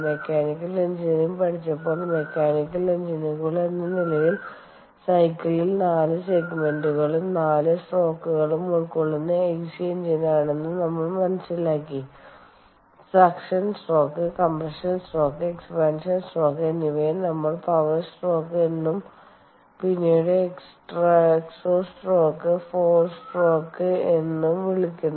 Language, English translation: Malayalam, when we studied mechanical engineering, we came to know that the ic engine ah that the cycle consists of four segments, four strokes, ok, the suction car stroke, the compression stroke, the expansion stroke, which we also call the power stroke, and then the exhaust stroke four strokes